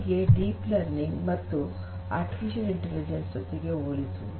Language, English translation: Kannada, So, this is how this deep learning, machine learning, and art artificial intelligence is compared to one another